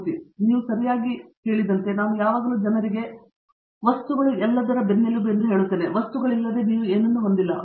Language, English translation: Kannada, As you rightly side, I always tell people materials is the backbone of everything, without materials you cannot have anything